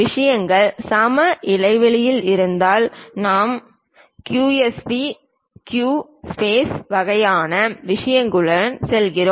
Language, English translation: Tamil, If things are equi spaced we go with EQSP equi space kind of things